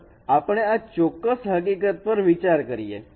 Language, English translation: Gujarati, Let us take this particular example